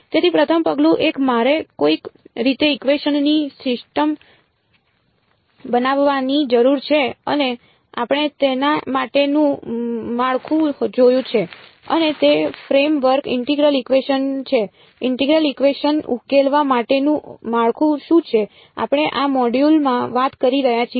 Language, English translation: Gujarati, So, first step 1 I have to somehow get into formulating a system of equations and we have seen the framework for it and that framework is integral equations what is the framework for solving integral equations, we have we are talking about in this module